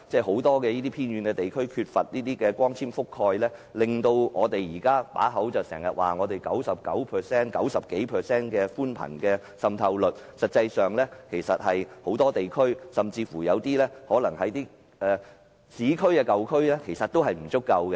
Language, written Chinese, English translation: Cantonese, 很多偏遠地區缺乏光纖網絡覆蓋，雖然我們經常說本港的寬頻服務覆蓋率高達 90% 以上，但實際上，很多地區，包括市區的舊區的覆蓋率其實也不足夠。, Many remote areas lack fibre - based network coverage; although we often say that the broadband service coverage in Hong Kong reaches 90 % or above the coverage in many areas including old urban areas is actually not enough